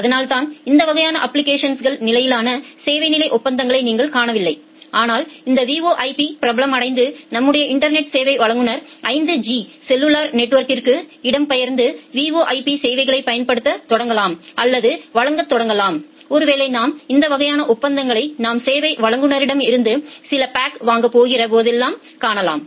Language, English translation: Tamil, And that is why you do not see this kind of application level service level agreements, but once this VoIP becomes popular and our network service provider migrates to the 5G cellular network and start using or start providing VoIP services possibly we will see this kind of agreements which are coming whenever you are going to purchase some packs from the service providers